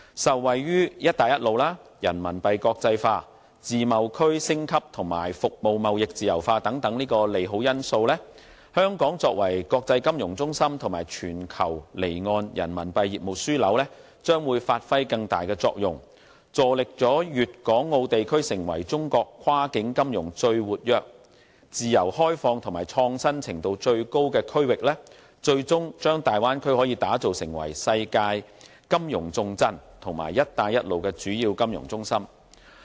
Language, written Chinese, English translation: Cantonese, 受惠於"一帶一路"、人民幣國際化、自貿區升級及服務貿易自由化等利好因素，香港作為國際金融中心和全球離岸人民幣業務樞紐，將會發揮更大作用，助力粵港澳地區成為中國跨境金融最活躍、自由開放和創新程度最高的區域，最終把大灣區打造成為世界金融重鎮和"一帶一路"的主要金融中心。, The Belt and Road initiative the internationalization of Renminbi the upgrading of the free trade zones and liberalization of the service trade are all favourable factors that strengthen Hong Kongs role as an international financial centre and global offshore Renminbi business hub . These factors also provide an impetus for Guangdong Hong Kong and Macao to develop into the most active open and innovative region in China in cross - bounder financial activities and ultimately develop the Bay Area into a world - class financial capital and a major financial centre along the Belt and Road route